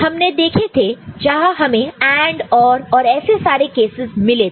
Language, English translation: Hindi, We had seen where we had got AND, OR and those kind of cases